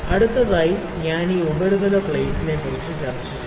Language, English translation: Malayalam, Next I will discuss about this surface plate